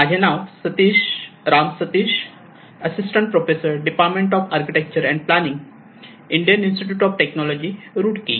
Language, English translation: Marathi, My name is Ram Sateesh, I am Assistant professor, Department of Architecture and planning, IIT Roorkee